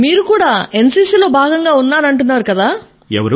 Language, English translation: Telugu, That you have also been a part of NCC